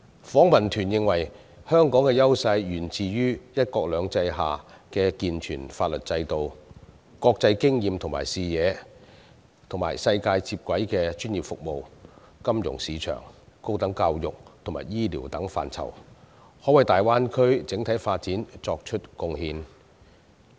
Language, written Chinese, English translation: Cantonese, 訪問團認為，香港的優勢源於"一國兩制"下的健全法律制度、國際經驗和視野，以及可在與世界接軌的專業服務、金融市場、高等教育和醫療等範疇內，為大灣區整體發展作出貢獻。, The Delegation is of the view that Hong Kongs advantages originate from a sound legal system under one country two systems its international experience and vision and its ability to make contribution to the overall development of the Greater Bay Area in such areas as professional services financial market higher education and health care for integration into the global community